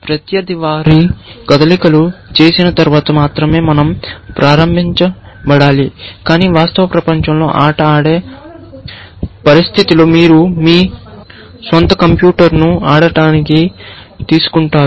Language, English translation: Telugu, We should be invoked, only after opponent has made their moves, but in the real world game playing situation where, you take your own computer to play